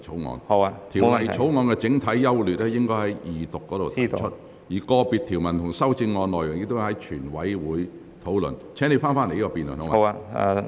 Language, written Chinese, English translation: Cantonese, 有關《條例草案》的整體優劣，議員應在二讀辯論時提出，而個別條文和修正案，亦應在全體委員會審議階段討論。, The general merits of the Bill should have been raised during the Second Reading debate while individual clauses and amendments should have been discussed during the Committee stage